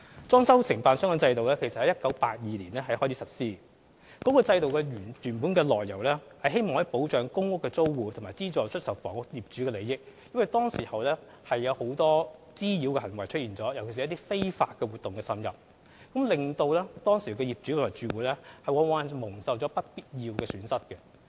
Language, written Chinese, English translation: Cantonese, 裝修承辦商制度其實由1982年開始實施，原是為了保障公屋租戶和資助出售房屋業主的利益，因為當時出現了很多滋擾行為，尤其是一些非法活動滲入，往往令當時的業主和住戶蒙受不必要的損失。, The implementation of the DC system commenced in 1982 for purposes of protection of interests of tenants of public rental housing PRH and property owners of subsidized sale flats given the prevalence of disturbances at the time especially the infiltration of some illegal activities which caused property owners and residents to suffer unnecessary loss